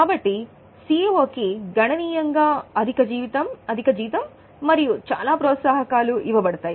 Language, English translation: Telugu, So, CEO is given substantially high salary, a very high salary and also a lot of perks